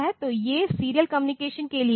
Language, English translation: Hindi, So, these are for serial communication